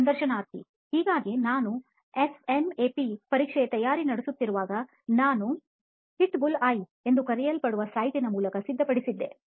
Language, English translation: Kannada, Do you think that comes to… So while I was preparing for my SNAP exam, so I had prepared through the site known as the ‘Hitbullseye’